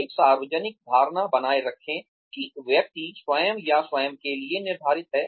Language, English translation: Hindi, Maintain a public impression, that the person is set for himself or herself